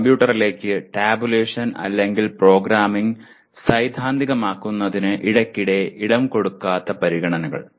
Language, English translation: Malayalam, Considerations that frequently do not lend themselves to theorizing tabulation or programming into a computer